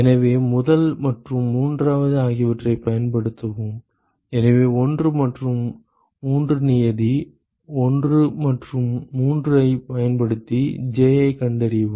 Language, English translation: Tamil, So, use the first and third so use 1 and 3 term, 1 and 3 and find Ji